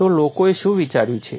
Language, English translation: Gujarati, So, what people have thought